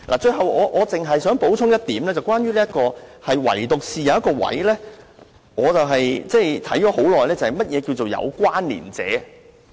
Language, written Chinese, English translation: Cantonese, 最後，我想補充一點，唯獨有一點我反覆研究良久，那就是何謂"有關連者"？, Finally I would like to add that there is only one question which I have been examining over and over again and that is What is the meaning of connected person?